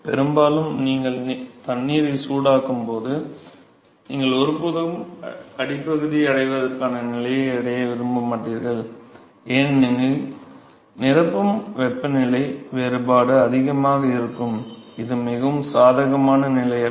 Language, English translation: Tamil, Mostly, most of the time when you heat the water you never want to reach the stage of having a film of the bottom, because the filling temperature temperature difference can be significantly higher it is not a most favorable condition never want to reach the stage